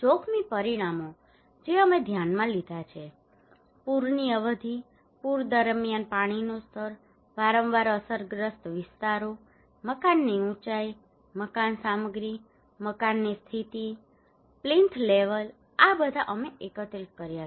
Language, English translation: Gujarati, Hazard parameters we considered, flood duration, water level during the flood, areas frequently affected, building height, building materials, building conditions, plinth level these all we collected